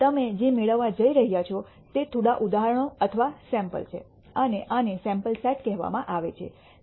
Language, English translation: Gujarati, What you are going to obtain is just a few examples or samples and these are called the sample set